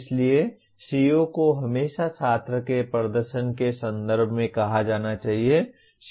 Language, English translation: Hindi, So CO always should be stated in terms of student performance